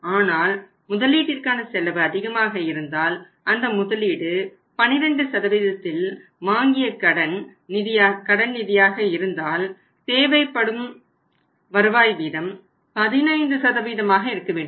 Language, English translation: Tamil, But if the cost of capital is higher if the capital has been taken or he has been borrowed the funds have been borrowed at 12%, 15% then the required rate of return has to be the same right